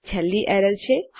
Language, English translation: Gujarati, And the last one is error